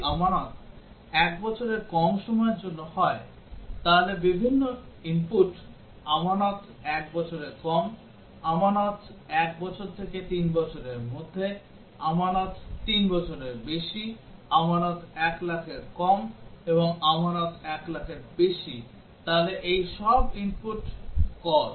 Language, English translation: Bengali, If deposit is for less than 1 year, these are the different inputs; deposit is less than 1 year; deposit is between 1 year and 3 year; deposit is greater than 3 year; deposit is less than 1 lakh; and deposit is greater than 1 lakh, so these are all are input causes